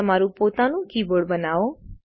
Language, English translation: Gujarati, Create your own key board